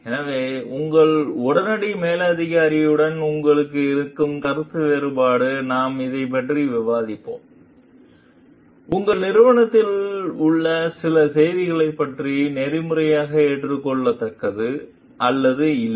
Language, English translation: Tamil, So, we will discuss with this like if you are having a disagreement with your immediate superior, so about some of the actions in your organization is ethically acceptable or not